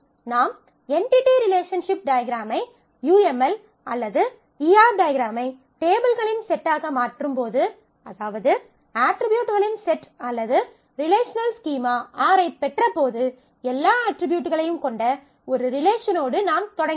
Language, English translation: Tamil, When you have converted the entity relationship diagram, the UML or the ER diagram into a set of tables, that is how we got our set of attributes or the relational schema R, it is also possible that we just started with a single relation containing all attributes, which is called the universal relation